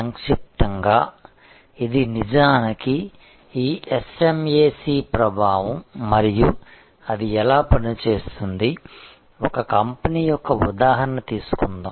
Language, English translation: Telugu, This in short is actually the impact of this SMAC and how it will operate, let us take an example of a company